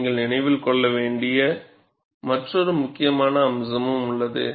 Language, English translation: Tamil, See, there is also another important aspect that you have to keep in mind